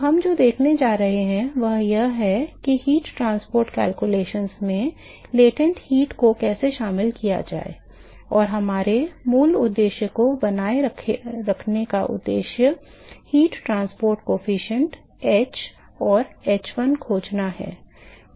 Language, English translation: Hindi, So, what we are going to see is how to incorporate latent heat in the heat transport calculations, and to retain our original objective is the objective is to find the heat transport coefficient h and h1